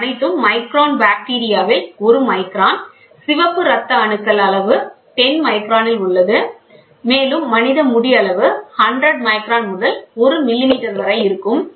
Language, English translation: Tamil, And these are all in micron bacteria is one micron, then you have red blood cells in 10 micron, you have human hair which is close to which is between 100 micron to 1 millimeter